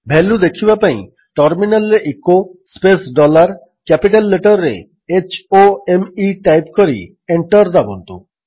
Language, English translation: Odia, To see the value, type at the terminal: echo space dollar H O M E in capital and press Enter